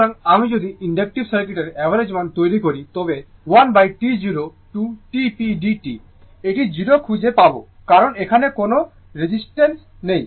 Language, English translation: Bengali, So, if you make average power for inductive circuit 1 by T 0 to T p dt, it will find 0 because, there is no resistor here